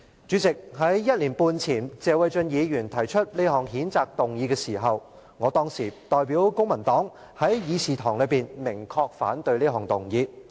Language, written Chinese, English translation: Cantonese, 主席，在1年半前謝偉俊議員提出這項譴責議案時，我代表公民黨在議事堂內明確表示反對。, President when Mr Paul TSE moved this censure motion one and a half years ago I specifically expressed opposition on behalf of the Civic Party . I gave three reasons at that time